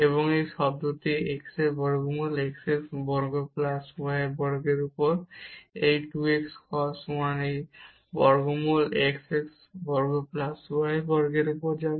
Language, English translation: Bengali, So, we will get sign of this 1 over square root x square plus y square, and this term will become x over the x square root x square plus y square plus this 2 x cos 1 over a square root x square plus y square